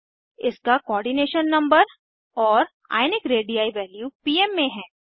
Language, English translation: Hindi, * Its Coordination number and * Ionic radii value in pm